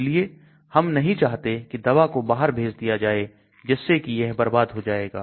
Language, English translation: Hindi, So we do not want the drug to get effluxed out then it becomes a waste